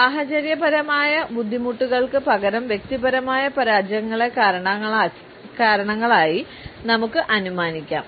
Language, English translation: Malayalam, We can assume personal failures as reasons instead of situational difficulties